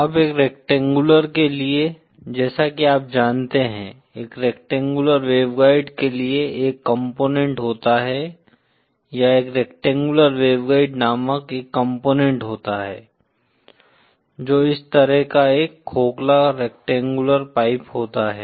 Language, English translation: Hindi, Now for a rectangular, similarly you know, for a rectangular waveguide, there is a device called, or a component called a rectangular waveguide, which is just a hollow of a rectangular pipe, like this